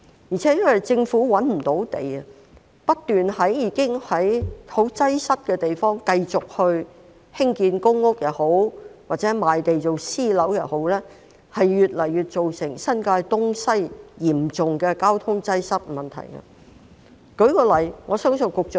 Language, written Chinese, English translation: Cantonese, 再者，由於政府找不到土地，當政府不斷在已經十分擠塞的地方繼續興建公屋或賣地興建私人樓宇，只會令新界東西的交通擠塞問題越趨嚴重。, Moreover given the Governments failure to find land when the Government continuously develops public housing units or sells land for private housing development at places where traffic is already very congested the problem of traffic congestion in New Territories East and West will only become increasingly serious